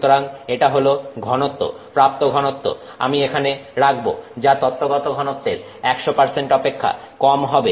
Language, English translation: Bengali, So, this is the density, obtained density I'll put it that way, obtained density will be less than 100% of the theoretical density